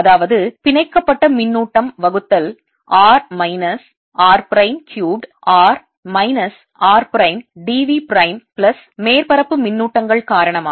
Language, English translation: Tamil, that's the bound charge divided by r minus r prime cubed r minus r prime d v prime plus due to surface charges